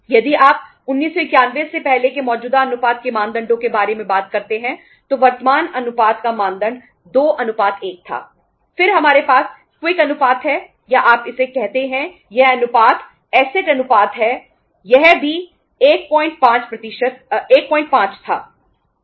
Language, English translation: Hindi, If you talk about the norms of current ratio earlier before 1991 the norms of current ratio was current ratio is that is the norm was 2:1